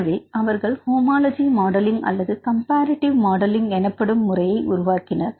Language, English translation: Tamil, So, they developed the methodology called the homology modelling or comparative modelling